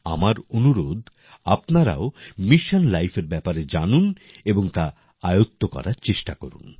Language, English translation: Bengali, I urge you to also know Mission Life and try to adopt it